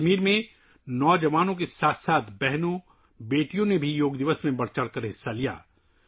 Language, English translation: Urdu, In Kashmir, along with the youth, sisters and daughters also participated enthusiastically on Yoga Day